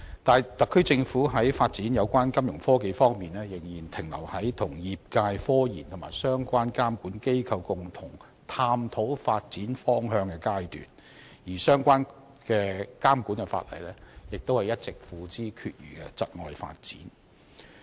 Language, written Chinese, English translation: Cantonese, 但是，特區政府在金融科技發展方面仍然停留於與業界進行科研，以及與相關監管機構共同探討發展方向的階段，而相關監管法例亦一直付之闕如，窒礙發展。, However on Fintech development the Special Administrative Region Government is still stuck in the state of conducting scientific research with the industry and jointly exploring the direction of development with the regulatory authorities concerned while relevant regulatory laws are yet to be put in place thus hindering the development